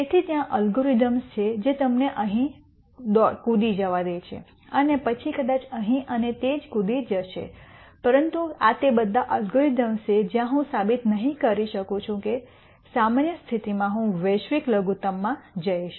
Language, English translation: Gujarati, So, there are algorithms which will let you jump here and then maybe will jump here and so on, but these are all algorithms where it is very difficult in a general case to prove that I will go and hit the global minimum